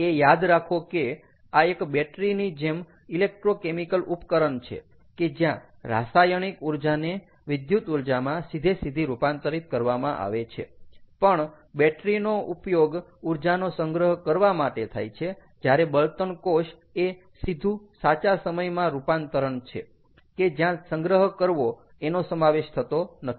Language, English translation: Gujarati, this is also an electrochemical device like battery, ok, where chemical energy is converted to electrical energy directly, all right, but battery can be used to store energy, whereas fuel cell is direct conversion, real time